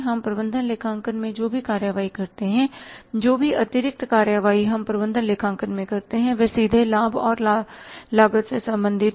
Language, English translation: Hindi, Whatever the actions we take in the management accounting, whatever the actions we take in the management accounting that is directly related to the benefits and cost